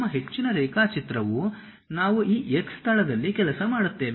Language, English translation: Kannada, Most of our drawing we work in this X location